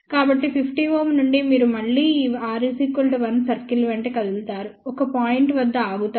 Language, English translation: Telugu, So, from 50 ohm you again move along this r equal to one circle stop at a point